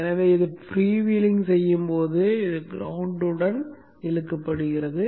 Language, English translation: Tamil, So when this is freewheeling this is pulled to the ground